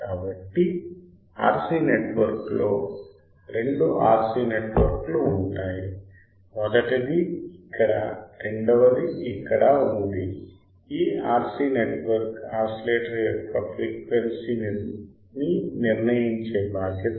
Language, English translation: Telugu, So, RC network there is two RC network; first one is here second one is here this RC network are responsible for determining the frequency of the oscillator right